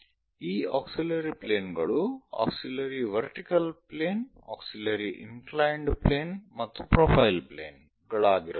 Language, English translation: Kannada, These auxiliary planes can be auxiliary vertical planes, auxiliary inclined planes and profile planes